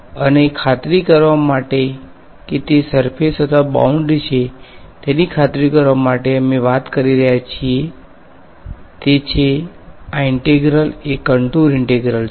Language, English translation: Gujarati, And to tell to make sure that its a surface or a boundary we are talking about the best indication is that this integral is a the symbol of integrations the contour integration right